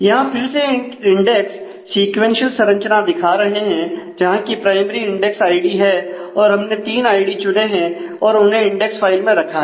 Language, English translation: Hindi, So, here again we are showing a index sequential structure with id being the primary index and we have chosen three of the ids and kept them in the index file